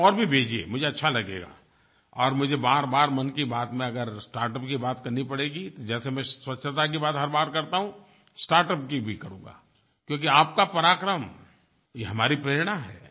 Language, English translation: Hindi, And you send more, I will feel good and if I have to talk about startup repeatedly in my 'Mann Ki Baat' like I do every time for cleanliness, will do so for startups as well, as your power is our inspiration